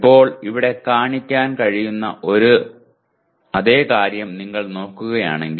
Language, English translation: Malayalam, And now if you look at the same thing that can be can be shown here